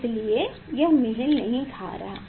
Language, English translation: Hindi, that is why it is not matching